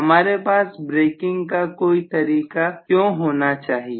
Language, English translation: Hindi, Why should you have some kind of braking method